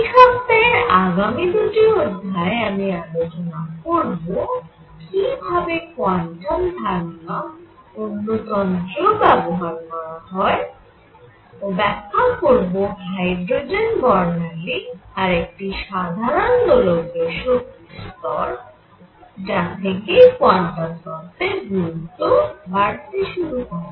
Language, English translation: Bengali, In the coming 2 lectures this week, I am going to now discuss how quantum ideas were also applied to other systems to explain say hydrogen spectrum and the energy level of an oscillator in general, and this sort of started building up quantum theory